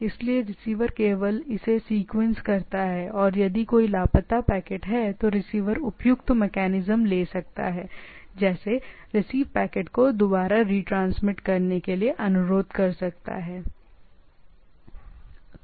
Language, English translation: Hindi, So, the receiver only sequence it, and if there is a missing packet, receiver can take appropriate mechanism, like receive can request for retransmission of the packet and so on so forth